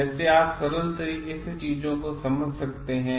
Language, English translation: Hindi, In a simple way you can explain things